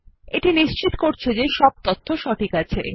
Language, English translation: Bengali, This is to confirm that all the information is correct